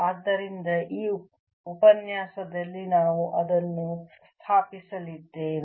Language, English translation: Kannada, so that is what we are going to establish in this lecture